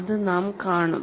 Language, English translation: Malayalam, We will also see that